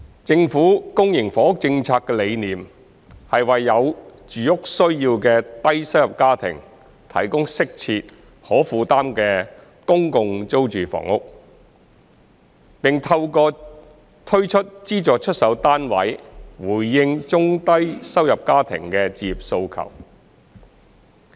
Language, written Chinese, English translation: Cantonese, 政府公營房屋政策的理念，是為有住屋需要的低收入家庭提供適切、可負擔的公共租住房屋，並透過推出資助出售單位回應中低收入家庭的置業訴求。, The philosophy of the Governments public housing policy is to provide adequate and affordable public rental housing PRH to low - income families with housing needs and to address the home ownership aspirations of low - and middle - income families through the introduction of subsidized sale flats